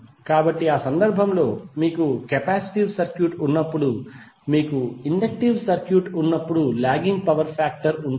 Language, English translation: Telugu, So in that case when you have capacitive circuit you will have leading power factor when you have inductive circuit when you will have lagging power factor